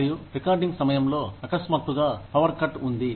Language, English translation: Telugu, And, during recordings, suddenly, there is the power cut